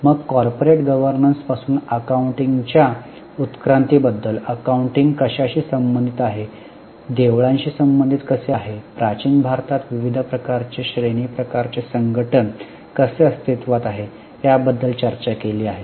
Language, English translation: Marathi, Then from corporate governance we have also discussed about evolution of accounting, how accounting is related to Diwali, how various shranny types of organizations existed in ancient India